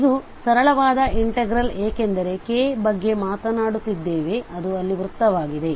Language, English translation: Kannada, And this is going to be a simpler integral because we are talking about this k which is a circle there